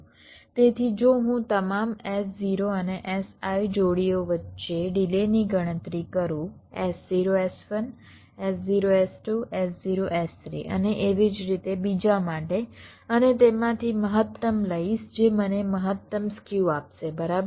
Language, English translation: Gujarati, so if i calculate this delay across all, s zero and s i pairs, s zero, s one s zero, s two, s zero, s three and so on, and take the maximum of them, that will give me the maximum skew, right